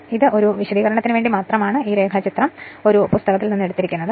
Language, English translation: Malayalam, So, this is just for the sake of explanation I have taken this diagram from a book right